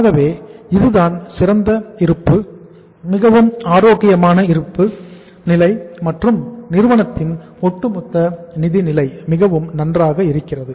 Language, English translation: Tamil, So this is the superior balance sheet uh say very healthy balance sheet and the firm’s overall financial position is very very good